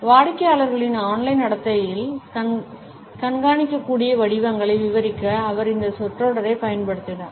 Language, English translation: Tamil, And he used this phrase to describe track able patterns in online behaviour of customers